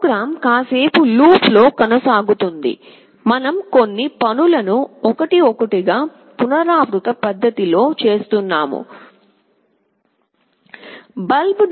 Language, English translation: Telugu, The program continues in a while loop, we are doing certain things one by one in a repetitive fashion